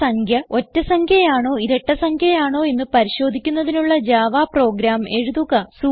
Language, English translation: Malayalam, * Write a java program to check whether the given number is even or odd